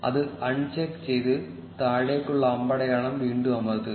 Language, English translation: Malayalam, Uncheck that and press the down arrow again